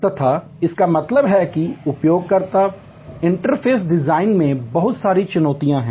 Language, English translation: Hindi, And; that means, that there are lot of challenges in user interface design